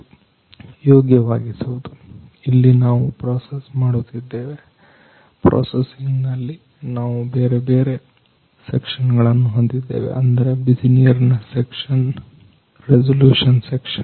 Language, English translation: Kannada, Here we have we are processing; in processing we are having different sections like hot water section resolution section